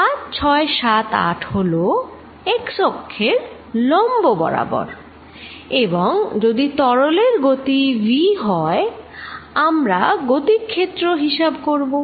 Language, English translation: Bengali, 5, 6, 7, 8 is perpendicular to the x axis and if there is a velocity of fluid v we talking about velocity field